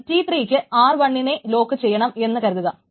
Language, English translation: Malayalam, But suppose T3 wants to lock R1, should it be allowed